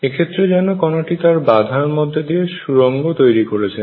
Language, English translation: Bengali, It is as if the particle has tunneled through the barrier